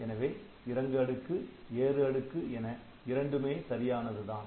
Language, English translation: Tamil, So, we have got descending stack we have got ascending stack, both are correct